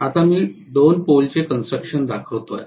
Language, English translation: Marathi, Now I am showing a 2 pole construction